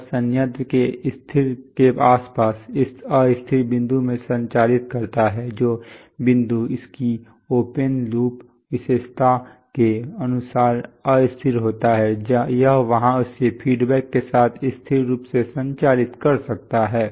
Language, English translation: Hindi, It operates the plant in around the stable, in unstable point, the point which is unstable according to its open loop characteristic it can operate it there stably with feedback